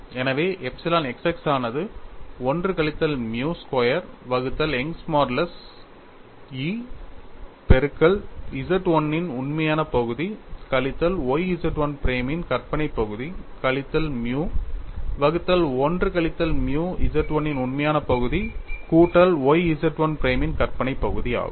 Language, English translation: Tamil, So, I get epsilon x x equal to 1 minus nu squared divided by Young's modulus multiplied by a real part of Z 1 minus y imaginary part of Z 1 prime minus nu by 1 minus nu real part of Z 1 plus y imaginary part of Z 1 prime, then I also look at what is epsilon y y, it is 1 minus nu square divided by Young's modulus into real part of Z 1 plus y imaginary part of Z 1 prime minus nu by 1 minus nu real part of Z 1 minus y imaginary part of Z 1 prime